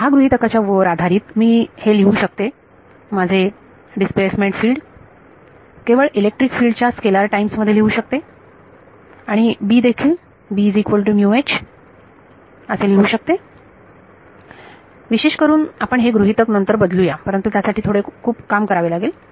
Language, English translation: Marathi, So, over here under this assumption; so, I can write down that my displacement field can be written as just a scalar times electric field and B also can be written as mu H in particular this assumption we will change later, but it takes a lot of work